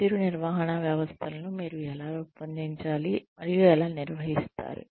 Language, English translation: Telugu, How do you design and operate, performance management systems